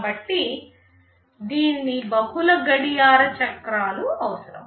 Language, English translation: Telugu, So, it will need multiple clock cycles